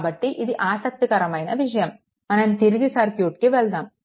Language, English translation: Telugu, So, this is interesting just go go let us go back to the circuit, right